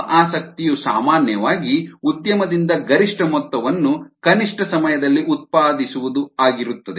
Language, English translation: Kannada, usually general interest from an industry is to produce the maximum amount in the minimum possible time right